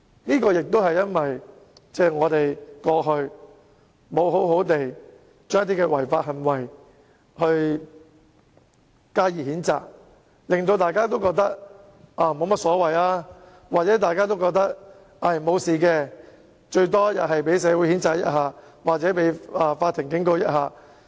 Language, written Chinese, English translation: Cantonese, 這也是因為我們過去沒有對某些違法行為加以譴責，以致有人認為沒有甚麼大不了，甚至以為沒有問題，最多只會被社會人士譴責或法庭警告。, Owing to the fact that certain illegal acts were not censured by us in the past some people believed as a result that it was no big deal at all and would not cause serious consequences―at the most to be condemned by the community or warned by the Court only